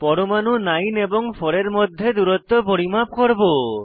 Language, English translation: Bengali, I will measure the distance between atoms 9 and 4